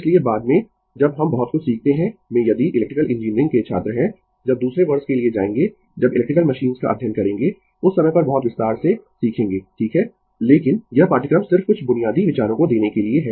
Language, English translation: Hindi, So, later when we learn your much more thing in the if you are an electrical engineering student, when you will go for your second year when you will study electrical machines, at that time you will learn much in detail right, but this course just to give you some basic ideas